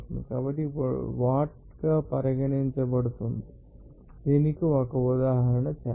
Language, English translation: Telugu, So, what is regarded as watt now, let us do an example for this